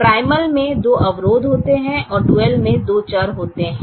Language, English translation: Hindi, the primal has two constraints and the duel will have two variables